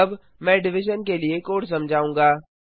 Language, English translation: Hindi, Now, I will explain the code for division